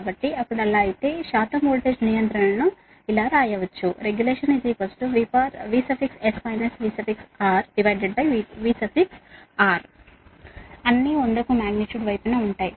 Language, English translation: Telugu, so if it is so, if it is so, then percentage voltage regulation can be written as that v s minus v r upon v r, all are magnitude into hundred right